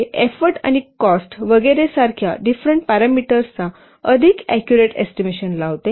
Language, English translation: Marathi, It more accurately estimate the different parameters such as effort and cost etc